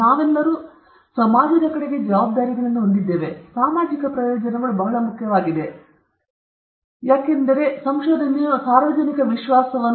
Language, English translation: Kannada, We all have responsibilities towards the society, and social benefits are very important, because, as I mentioned and I repeat now, research is based on public trust